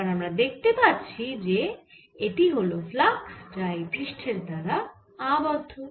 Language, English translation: Bengali, now we can see that this thing is actually flux found by the surface